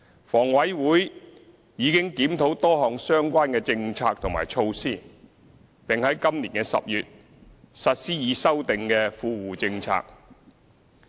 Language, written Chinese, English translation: Cantonese, 房委會已經檢討多項相關政策及措施，並在今年10月實施已修訂的"富戶政策"。, HA already reviewed the various relevant policies and measures and implemented the revised Well - off Tenants Policies in October this year